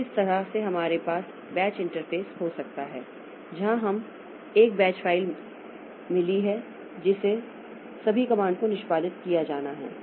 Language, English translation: Hindi, So, this way we can have the batch interface where we have got a batch file containing all the commands to be executed